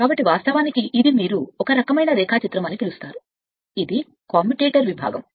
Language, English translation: Telugu, So, this is actually your what you call some kind of diagram this is the commutator segment